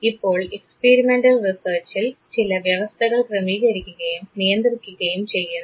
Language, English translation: Malayalam, Now what happens in experimental research there are certain conditions that are arranged and controlled